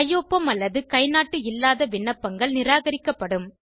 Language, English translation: Tamil, Applications without signature or thumb print will be rejected